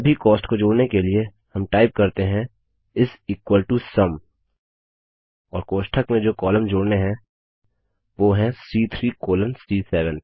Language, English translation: Hindi, In order to add all the costs, well typeis equal to SUM and within braces the range of columns to be added,that is,C3 colon C7